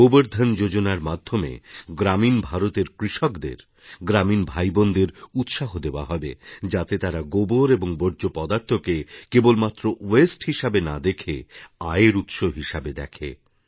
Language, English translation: Bengali, Under the Gobardhan Scheme our farmer brothers & sisters in rural India will be encouraged to consider dung and other waste not just as a waste but as a source of income